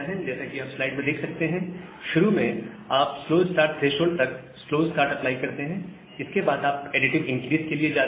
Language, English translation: Hindi, So, in fast recovery what we do, initially you apply slow start, up to slow start threshold, then you go for additive increase